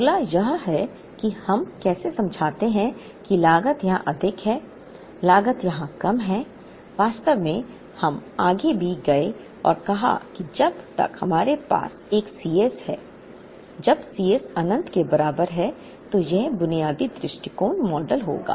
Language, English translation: Hindi, Next is how do we explain that, the cost is higher here, cost is lower here in fact we even went ahead and said that as long as we have a C s when C s is equal to infinity, then this would approach the basic model